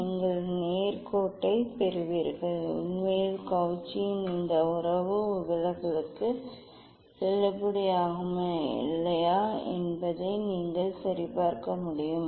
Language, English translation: Tamil, you will get the straight line actually you can verify whether Cauchy s this relation is it is valid for the deviation or not